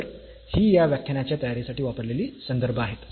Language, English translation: Marathi, So, these are the references used for preparing these lectures